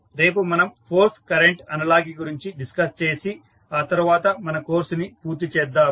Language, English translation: Telugu, So, in this we discussed force voltage analogy, tomorrow we will discuss force current analogy and then we will wind up our course